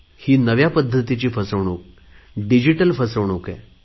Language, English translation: Marathi, And this new means of fraud is digital fraud